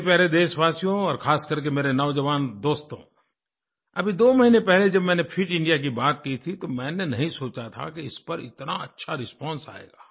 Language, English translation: Hindi, My dear countrymen, especially my young friends, just a couple of months ago, when I mentioned 'Fit India', I did not think it would draw such a good response; that a large number of people would come forward to support it